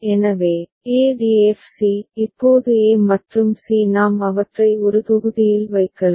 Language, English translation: Tamil, So, e df c; now e and c we can put them in one block right